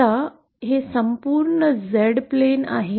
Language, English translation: Marathi, Now this whole plane is the Z plane